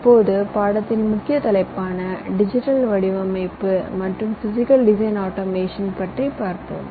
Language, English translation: Tamil, well, as you can see, we would be talking about digital design and we would be talking about physical design automation